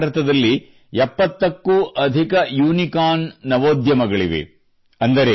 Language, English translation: Kannada, Today there are more than 70 Unicorns in India